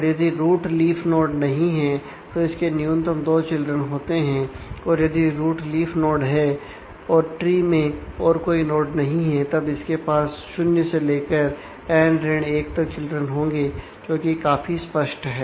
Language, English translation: Hindi, And the if the root is not a leaf, then it has at least 2 children and if the root is a leaf there is no other nodes in the tree then it can have between 0 to n 1 values which are quite obvious